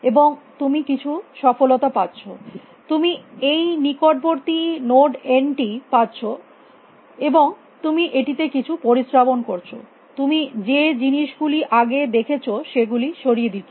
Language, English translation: Bengali, And you get some success you get this neighborhood this node n, and to this you do some filtering you remove the things that you have seen